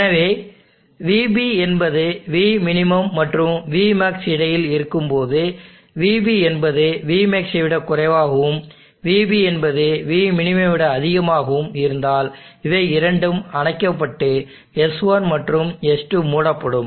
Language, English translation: Tamil, So when Vb is between Vmin and Vmax both Vb is < Vmax and Vb > Vmin both these are off and S1 and S2 are closed